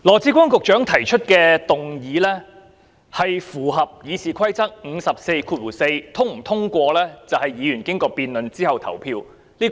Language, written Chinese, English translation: Cantonese, 主席，羅致光局長提出的議案符合《議事規則》第544條；是否通過，則由議員經過辯論之後投票決定。, President the motion proposed by Secretary Dr LAW Chi - kwong is in compliance with Rule 544 of the Rules of Procedure RoP and whether to pass it or not depends on how Members vote after the debate